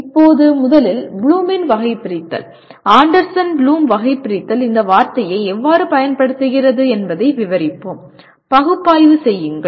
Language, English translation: Tamil, Now first let us describe how the Bloom’s taxonomy, Anderson Bloom’s taxonomy uses the word analyze